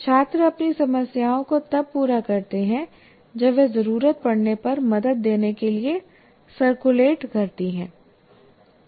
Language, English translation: Hindi, And students complete their problems while she circulates to give help where necessary